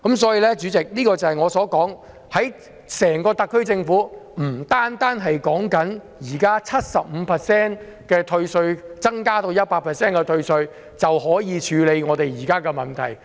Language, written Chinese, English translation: Cantonese, 主席，正如我所說，特區政府並不能單靠現時退稅百分比由 75% 提升至 100% 的措施，就可以處理香港目前的問題。, Chairman as I said the SAR Government cannot rely on the measure of increasing the tax reduction percentage from 75 % to 100 % alone to tackle the present problems in Hong Kong